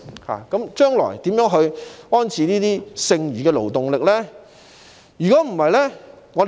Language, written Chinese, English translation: Cantonese, 香港將來應如何安置剩餘的勞動力呢？, What arrangements should be drawn up by Hong Kong for its surplus workers in the future?